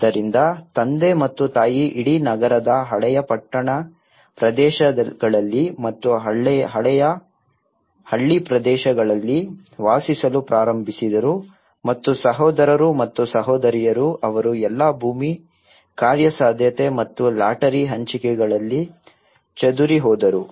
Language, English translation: Kannada, So father and mother started living in the whole city old town areas and old village areas and the brothers and sisters they all scattered in whatever the land feasibility and the lottery allotments they got